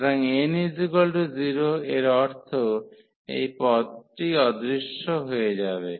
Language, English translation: Bengali, So, n is equal to 0 means this term will disappear